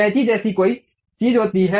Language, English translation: Hindi, There is something like scissors